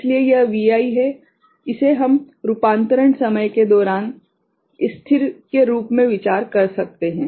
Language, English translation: Hindi, So, this Vi is we can consider as constant during the conversion time